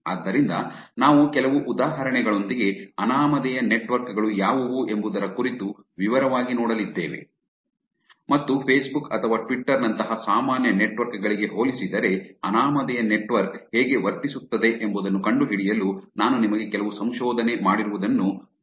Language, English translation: Kannada, So, we will go in detail about what anonymous networks are with some examples and I will also show you some research done, some work done, on finding out how anonymous network behaves, compared to normal networks like facebook or twitter